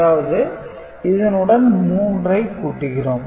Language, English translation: Tamil, So, 5 and 7, so this is 12